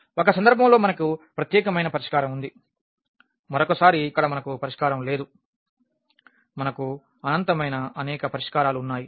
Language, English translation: Telugu, In one case we have the unique solution, in another one we have no solution here we have infinitely many solutions